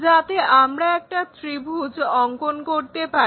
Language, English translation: Bengali, So, we will see it like a triangle